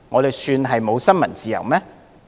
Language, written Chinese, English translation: Cantonese, 這算是沒有新聞自由嗎？, Can we say there is no freedom of the press?